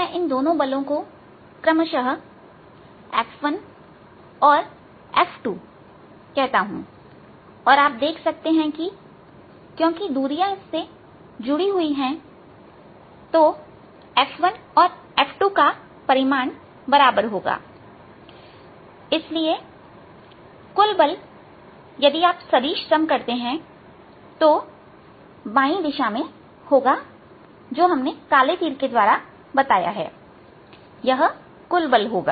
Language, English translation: Hindi, let me call these forces f one and f two respectively and you can see, because of the distances involved, the magnitude of f one and f two going to is going to be the same and therefore the net force, if you just do the vector sum, is going to be in the direction towards the left, left shown by this black arrow